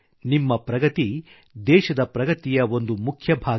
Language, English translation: Kannada, Your progress is a vital part of the country's progress